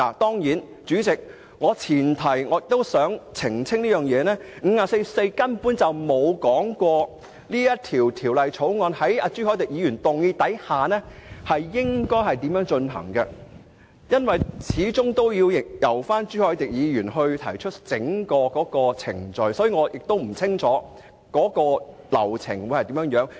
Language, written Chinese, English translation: Cantonese, 當然，主席，我想澄清一點，根據《議事規則》第544條，議員根本不知道朱凱廸議員提出議案後，應如何處理本《條例草案》，因為始終應由朱凱廸議員提出整個程序，所以我並不了解整個流程。, Certainly President I would like to clarify one point . Pursuant to RoP 544 Members simply have no idea how the Bill should be dealt with after Mr CHU Hoi - dick has proposed the motion because after all he should be responsible for proposing the entire proceedings . This is why I do not understand the whole process